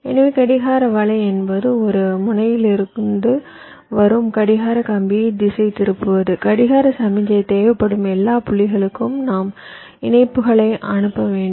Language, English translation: Tamil, from the clock pin which is coming at one end, i have to send the connections to all the points where clock signal is required